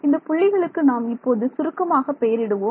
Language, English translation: Tamil, So, these points are given some shorthand numbers